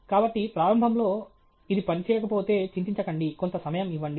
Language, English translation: Telugu, So, initially if it’s not working, don’t worry, give it some time